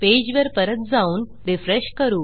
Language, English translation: Marathi, So, lets go back to our page and we will refresh